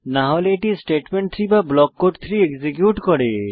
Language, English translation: Bengali, Else it executes statement 3 or block code 3